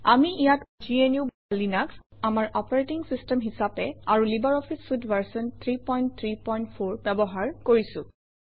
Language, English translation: Assamese, Here we are using GNU/Linux as our operating system and LibreOffice Suite version 3.3.4